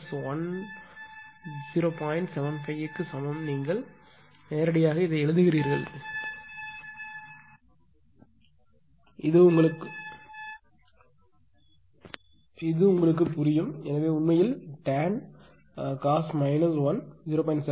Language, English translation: Tamil, 75 directly you are writing it is under stable understandable to you, so cos inverse actually tan of cos inverse 0